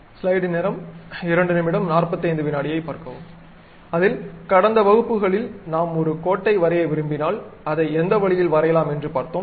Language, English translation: Tamil, In that, in the last classes, we have seen if I want to draw a line, I can draw it in that way